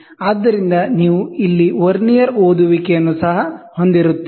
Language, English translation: Kannada, So, you will have a Vernier reading also here